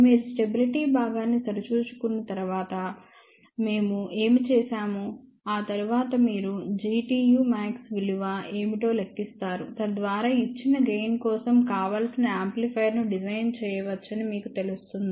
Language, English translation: Telugu, After you check the stability part, then what we did then after that you calculate what is the g t u max, so that you know whether the desired amplifier can be designed for a given gain